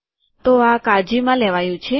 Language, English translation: Gujarati, So this is taken care of